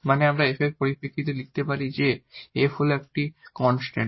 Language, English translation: Bengali, So, once we have f we can write down the solution as f is equal to constant